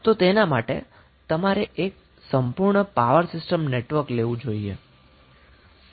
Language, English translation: Gujarati, you have to take the complete power system network